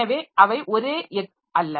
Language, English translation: Tamil, So, this is the same thing